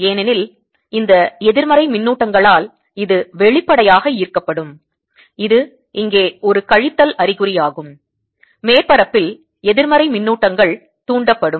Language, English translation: Tamil, because it'll obviously be attracted by these negative charges or there's a minus sign here negative charges that have been induced in the surface all